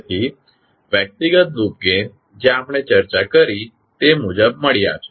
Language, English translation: Gujarati, So, individual loop gains you have got like we discussed